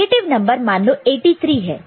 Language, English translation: Hindi, So, the negative number in the first place, say, it is 83 ok